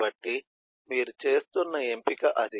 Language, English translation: Telugu, so that is the choice that you are making